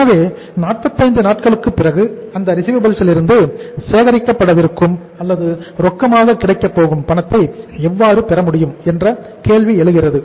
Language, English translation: Tamil, So it means the question arises how the cash can be received from those receivables which are going to be collected or going to be available in cash after 45 days